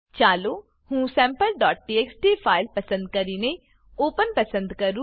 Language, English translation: Gujarati, Let me select the Sample.txt file, and choose Open